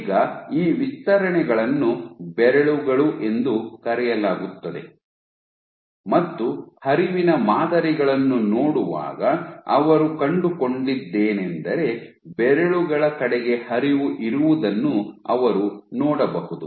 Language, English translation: Kannada, So, these extensions are called fingers and what they found when we are looking at the flow patterns you could see that there was flow towards the fingers so on and so forth